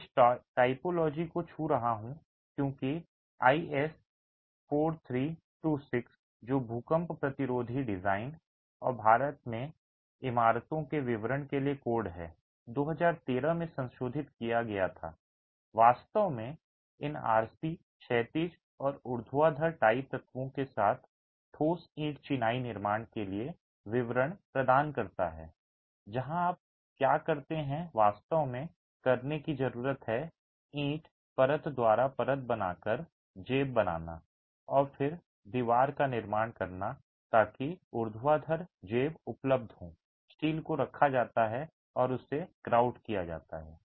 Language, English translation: Hindi, And this, am touching upon this typology because IS 4326 which is the code for earthquake resistant design and detailing of buildings in India revised in 2013 actually provides detailing for solid brick masonry construction with these RC horizontal and vertical tie elements where what you really need to do is create pockets by cutting brick layer by layer and then constructing the wall so that the vertical pocket is available, steel is placed and it is grouted